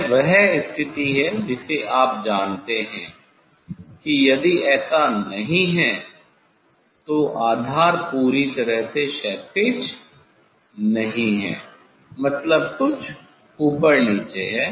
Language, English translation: Hindi, that is the condition you know if it is not this, base is not perfectly horizontal if any up down is there